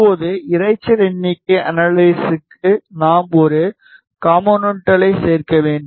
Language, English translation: Tamil, Now, for noise figure analysis, we need to add a component